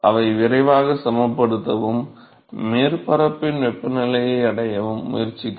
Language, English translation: Tamil, They will quickly attempt to equilibrate and reach the temperature of the surface